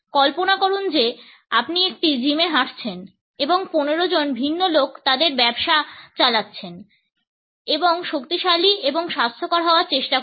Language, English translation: Bengali, Imagine you walk into a gym and see 15 different people all going about their business and trying to get stronger and healthier